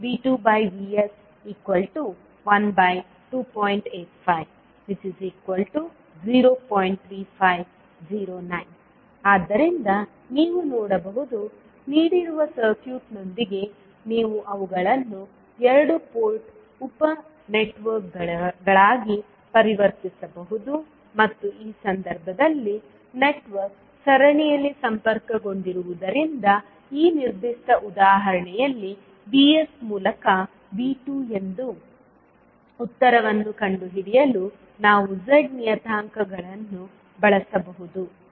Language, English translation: Kannada, So you can see, with the given circuit you can convert them into two port sub networks and since in this case the network is connected in series, we can utilise the Z parameters to find out the answer that is V 2 by VS given in this particular example